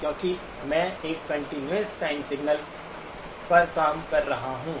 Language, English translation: Hindi, Because I am operating on a continuous time signal